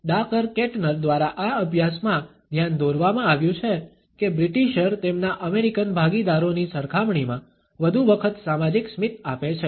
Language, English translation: Gujarati, It has been pointed out in this study by Dacher Keltner that the British more often pass a social smile in comparison to their American partners